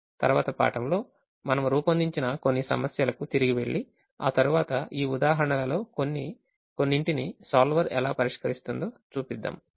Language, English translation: Telugu, in the next class we will go back to some of the problems that we formulated and then we show how the solver gives the solution to few of these examples